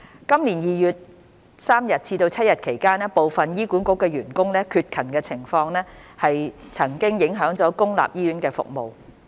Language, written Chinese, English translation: Cantonese, 今年2月3日至7日期間部分醫管局員工的缺勤情況曾經影響公立醫院服務。, The absence from duty by certain HA staff during 3 to 7 February this year affected public hospital services